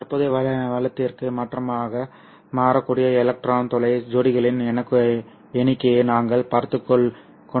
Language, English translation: Tamil, We were looking at the number of electron hole pairs that can be gainfully converted into the current